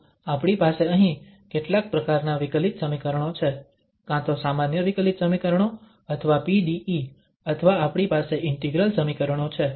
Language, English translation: Gujarati, So, we have some kind of differential equations here, either ordinary differential equations or PDE's or we have the integral equations